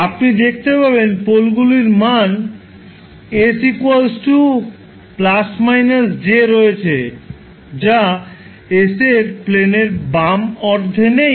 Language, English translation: Bengali, You will see the poles has the value s equal to plus minus j which are not in the left half of s plane